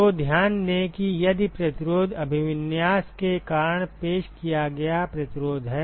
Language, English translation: Hindi, So, note that this resistance is the resistance offered because of orientation